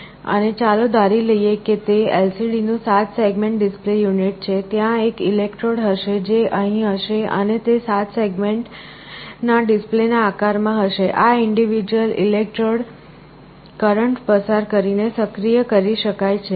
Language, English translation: Gujarati, And let us assume that it is a 7 segment display unit of LCD, there will be an electrode, which will be here which will be in the shape of a 7 segment display, this individual electrodes can be applied a current and activated